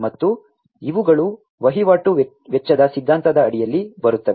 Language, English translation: Kannada, And these come under the transaction cost theory